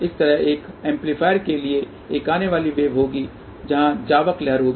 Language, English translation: Hindi, Similarly for an amplifier there will be a incoming wave there will be outgoing wave